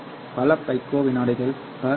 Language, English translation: Tamil, So many picoseconds per kilometer